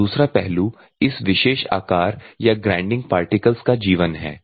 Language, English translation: Hindi, And the second thing is life of this particular shape or particular grinding particle ok